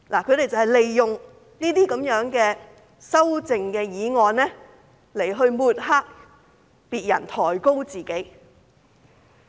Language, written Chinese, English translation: Cantonese, 他們就是利用修正案來抹黑別人，抬高自己。, They are using the amendment to smear others and elevate themselves